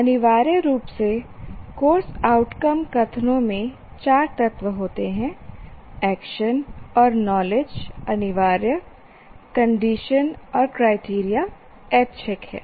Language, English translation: Hindi, So, but essentially course outcome statements have four elements, knowledge and knowledge is action and knowledge being compulsory, condition and criteria being optional